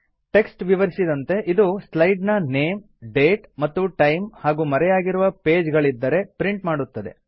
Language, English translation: Kannada, As the text describes, these will print the name of the slide, the date and time and hidden pages, if any